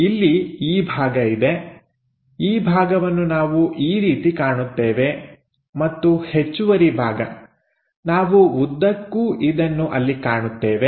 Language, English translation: Kannada, So, here this part is there, this part we will observe it in that way and this extra portion, we are going to see all the way there